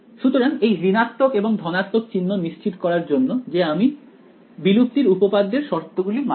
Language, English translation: Bengali, So, the plus and minus is to make sure that we obey the conditions of extinction theorem ok